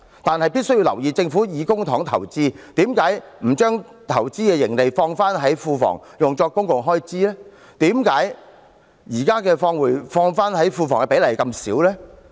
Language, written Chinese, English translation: Cantonese, 可是，必須留意的是，政府以公帑投資，為何不把投資盈利放回庫房作公共開支，為何現時放回庫房的比例這麼低？, However when the Government invests with public money why not plough back the investment proceeds to the Treasury to meet public expenditures? . How come the present plough back rate is so low?